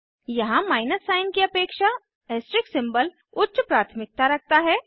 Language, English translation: Hindi, Here the asterisk symbol has higher priority than the minus sign